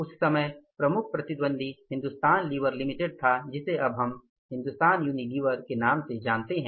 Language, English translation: Hindi, At that time their major competitor was Hindustan Liver Limited which now these nowadays we know the company as Hindustan Unilever Achuilh